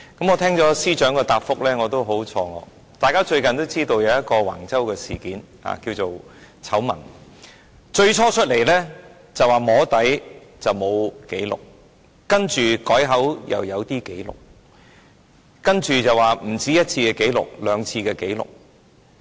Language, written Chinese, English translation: Cantonese, 我聽到司長的答覆也感到很錯愕，大家也知道最近有橫州事件或醜聞，政府最初說是"摸底"，沒有紀錄，接着改口說有一些紀錄，然後又說不止1次的紀錄，而是有兩次的紀錄。, We all know that there is the Wang Chau incident or scandal recently . The Government initially said that meetings were held for soft lobbying and there was no record . Then it corrected itself and said that there were some records adding subsequently that there were records not only for one meeting but two meetings